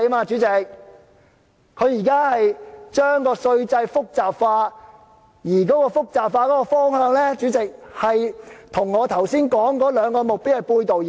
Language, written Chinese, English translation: Cantonese, 主席，政府現正將稅制複雜化，而這個複雜化的方向，跟我剛才說的兩個目標背道而馳。, President the Government is now complicating the tax system . And the direction of this complication runs contrary to the two goals I mentioned just now